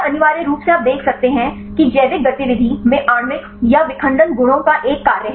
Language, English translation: Hindi, This is essentially you can see the biological activity there is a function of the molecular or the fragmental properties